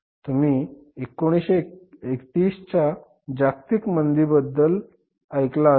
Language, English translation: Marathi, You must have heard about the global recession of 1930s